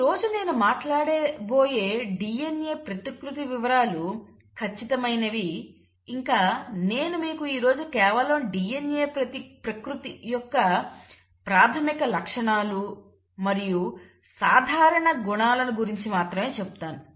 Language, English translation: Telugu, Now what I am going to talk today about DNA replication is going to hold true, what I am going to cover is just the basic features of DNA replication and just give you the common features